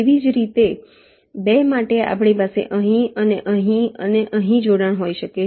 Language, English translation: Gujarati, similarly, for two, we can have a, say, line here and here and connection here